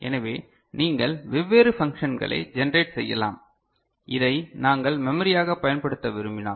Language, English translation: Tamil, So, you can generate different functions and if we wish to use this as a memory ok